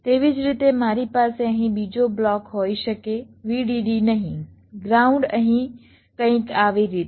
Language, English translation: Gujarati, let see, similarly i can have another block here, vdd here, ground here, something like this